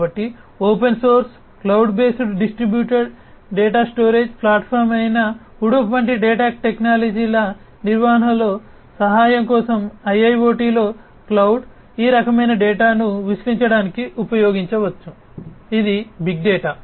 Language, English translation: Telugu, So, in IIoT for helping in the management of the data technologies such as Hadoop, which is an open source cloud based distributed data storage platform, cloud can be used for the analysis of this kind of data, which is big data